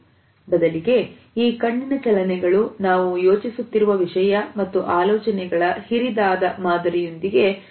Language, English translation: Kannada, Rather these eye movements are correlated with the content we are thinking of as well as the larger pattern of these thoughts